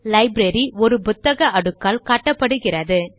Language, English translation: Tamil, The library is indicated by a stack of books